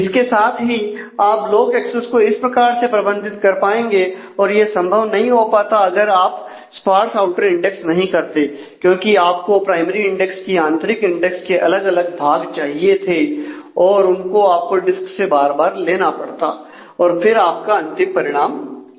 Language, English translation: Hindi, So, with this you would be able to manage with to block accesses in this case and that is how the multiple this would not have been possible if in this case you would not have done the sparse outer index, because you would have required the different parts of the inner index of the primary index to be fetched repeatedly from the disk till you act could actually find the final result in that